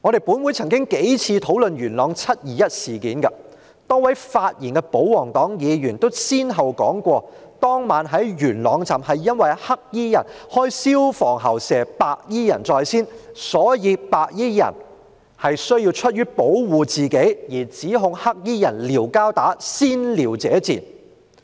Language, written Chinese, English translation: Cantonese, 本會曾多次討論元朗"七二一"事件，多位發言的保皇黨議員也先後提到，當晚在元朗站，黑衣人開消防喉噴射白衣人在先，所以白衣人出於保護自己而指控黑衣人"撩交打"，先撩者賤。, This Council has discussed the Yuen Long 21 July incident many times . The several Members from the pro - Government camp had stated in their speeches that in Yuen Long Station on that night the black - clad individuals used fire hoses to spray water at those clad in white first and so the white - clad individuals out of self - protection accused those clad in black of picking a fight and being despicable for making the provocation . Both cases involved spraying water